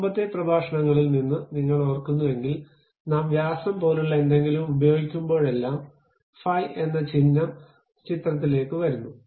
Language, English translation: Malayalam, If you recall from our earlier lectures, whenever we use something like diameter, the symbol phi comes into picture